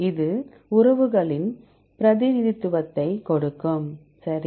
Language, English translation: Tamil, It will give a representation of relationships, right